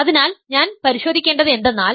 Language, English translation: Malayalam, So, what I have to check is